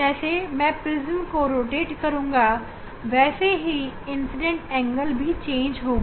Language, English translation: Hindi, Now if I rotate the prism, I can change the incident angle